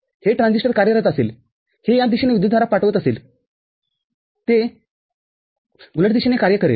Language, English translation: Marathi, This transistor will be working this will be sending current in this direction, it will work in the reverse direction